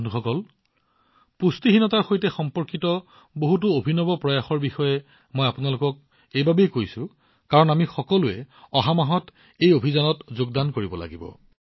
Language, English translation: Assamese, Friends, I am telling you about so many innovative experiments related to malnutrition, because all of us also have to join this campaign in the coming month